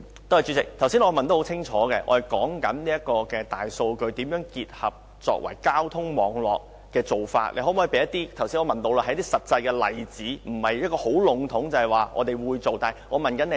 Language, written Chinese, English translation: Cantonese, 代理主席，剛才我清楚詢問局長，大數據如何結合交通網絡，局長可否提供一些實際的例子，而不是很籠統地要說會做，我是問如何做。, Deputy President my question was very clear . I asked the Secretary how big data can be used in conjunction with the transport network . Can the Secretary provide some concrete examples instead of saying generally that they will do so?